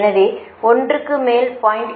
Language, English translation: Tamil, that is two to zero